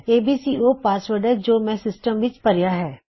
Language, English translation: Punjabi, abc is the password Im inputting to the system